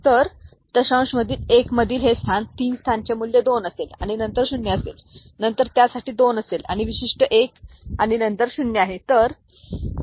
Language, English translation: Marathi, So, the 1 in the; this place the 3 place will be having value 2, and then there is a 0, then there is a 2 for this particular one and then there is a 0